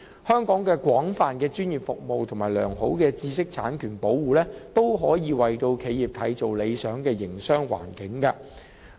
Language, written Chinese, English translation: Cantonese, 香港的廣泛專業服務和良好的知識產權保護，均可以為企業締造理想的營商環境。, With its extensive professional services and effective protection for intellectual property rights Hong Kong can create an ideal business environment for the enterprises